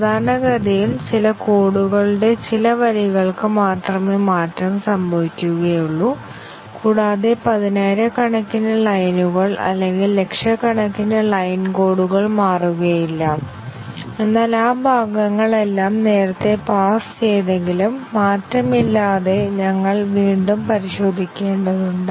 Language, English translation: Malayalam, Typically the change occurs to only few lines of code and few tens of thousands of line or hundreds of thousands of line of code does not change, but then we have to retest all those parts unchanged parts even though earlier they had passed